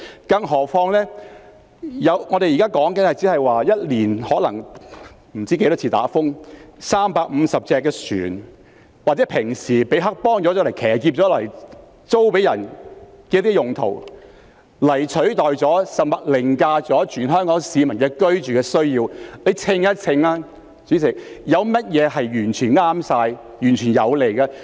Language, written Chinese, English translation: Cantonese, 更何況避風塘現時的用途只是一年不知多少次颱風襲港時讓350艘船停泊或平時已被黑幫騎劫用來出租，但這已取代甚至凌駕了全香港市民的居住需要，大家可以秤一秤，有甚麼會是完全正確，完全有利的呢？, Furthermore the typhoon shelter is currently used only for the berthing of 350 vessels when for who knows how many times a year a typhoon hits Hong Kong or it is just hijacked by triad gangs for rent on normal days . But this has replaced and even overridden the housing needs of all Hong Kong people . Members can weigh it up